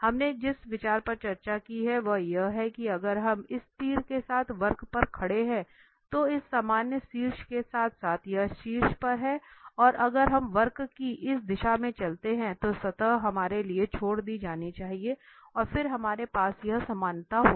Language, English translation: Hindi, The idea we have discussed that, if we stand here on the curve along this arrow along this normal having this head on this top there and if we walk through along this direction of the curve, the surface should lie left to us and then we will have this equality there